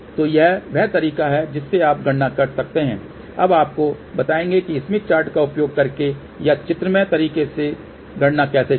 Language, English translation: Hindi, So, this is the way you can do the calculation; now, will tell you, how to do the calculation using the smith chart or using the graphical way